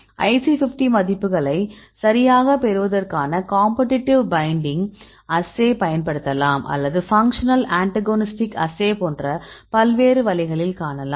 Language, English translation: Tamil, So, different ways to get the IC50 values right you can use the competitive binding assays or you can see the functional antagonist assays